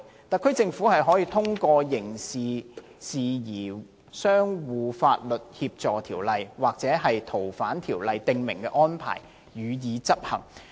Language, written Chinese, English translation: Cantonese, 特區政府可以通過《刑事事宜相互法律協助條例》或《逃犯條例》訂明的安排，予以執行。, The HKSAR Government can enforce the prohibitions through the arrangements as provided for under the Mutual Legal Assistance in Criminal Matters Ordinance and the Fugitive Offenders Ordinance